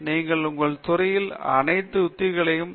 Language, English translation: Tamil, You should have a mastery of all the techniques in your field